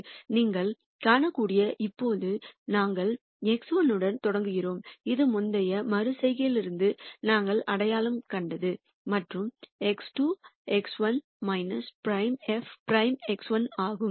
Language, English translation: Tamil, What you can see here is now, we start with X 1 which was what we identi ed from the previous iteration and X 2 is X 1 minus alpha f prime X 1